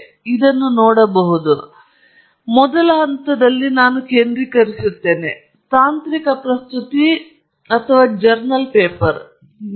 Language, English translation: Kannada, You can see here, we are now going to focus on the first point, which is technical presentation versus journal paper